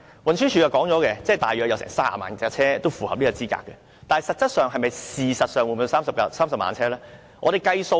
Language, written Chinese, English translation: Cantonese, 運輸署曾經表示，大約有30萬輛車符合資格，但實質上、事實上是否真的有30萬輛汽車呢？, According to the Transport Department about 300 000 vehicles will be eligible . But is this really true in reality?